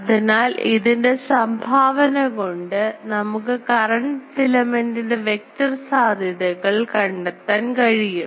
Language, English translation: Malayalam, So, the contribution of this we can find out the vector potential of this filament of current